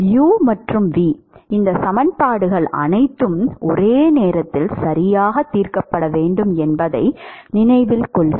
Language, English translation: Tamil, Note that u and v, all these equations have to be solved simultaneously right